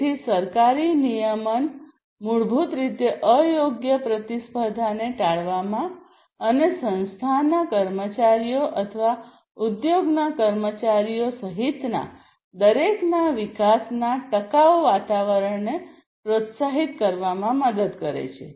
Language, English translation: Gujarati, So, government regulation will help in basically avoiding unfair competition and also to promote sustainable environment considered development for everyone including the employees of the organization or the industry